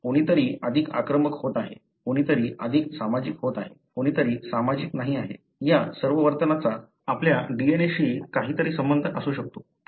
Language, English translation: Marathi, Now, being, somebody is being more aggressive, somebody is being more social, somebody is being not that social, these are all behaviour may be something to do with your DNA